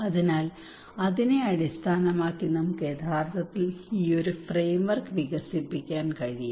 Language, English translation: Malayalam, So based on that we can actually develop these framework